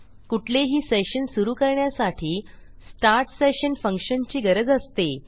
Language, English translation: Marathi, To start any session, we will need a function which is start session